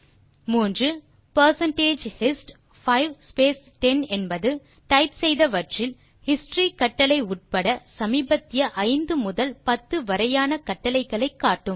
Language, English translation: Tamil, And Then third answer is percentage hist 5 space 10 will display the recently typed commands from 5 to 10 inclusive of the history command